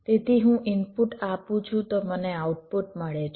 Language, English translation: Gujarati, so i apply an input, i get an output